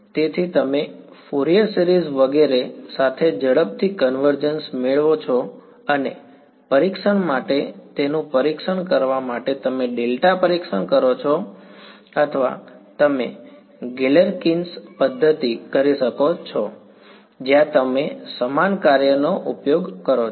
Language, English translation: Gujarati, So, you make get faster convergence with Fourier series and so on, and for testing, testing its you could do delta testing or you could do Galerkins method where you use the same basis function right